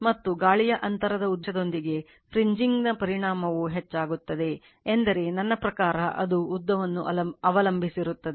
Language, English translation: Kannada, And the effect of fringing increases with the air gap length I mean it is I mean it depends on the length right